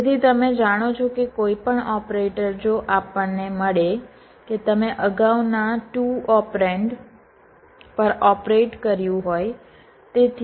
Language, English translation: Gujarati, so you know that that any operator if we encounter you operated on the on the previous two operence